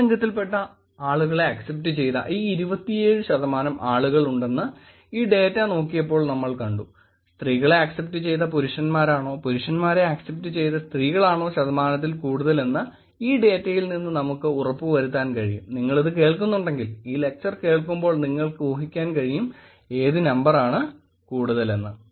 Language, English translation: Malayalam, So if we look at it 27 percent of the people are actually just accepting the opposite gender While we looked at this data we also wanted to look at what is what percentage is more which is when male is presented to the female or female is presented to male, we kind of looked at the data and ensure you already know, if you are listening to this, when you are listening to this lecture you will already guess what which number would have been higher